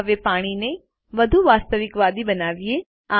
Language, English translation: Gujarati, Now let us make the water look more realistic